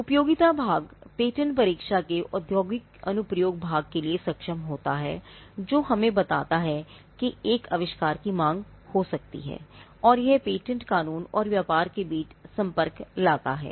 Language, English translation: Hindi, So, the utility part, or the capable of industrial application part of the patentability test is, what tells us that an invention could have a demand, and it brings the connect between patent law and business